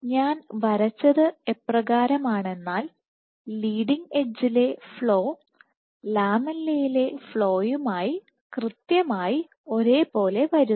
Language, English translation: Malayalam, So, the way I have drawn is the flow at the leading edge seems to be exactly in sync with the flow at the lamella